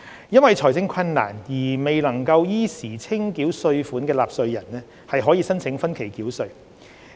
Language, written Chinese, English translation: Cantonese, 因財政困難而未能依時清繳稅款的納稅人，可申請分期繳稅。, Taxpayers who encounter financial difficulties in settling their tax bills on time may apply for payment of tax by instalments